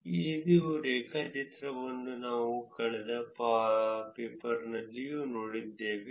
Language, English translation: Kannada, See there is another interesting inference, similar graph we saw on the last paper also